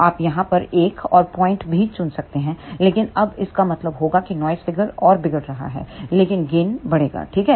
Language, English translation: Hindi, You can also choose another point over here, but then that would mean noise figure is deteriorating further, but gain will increase, ok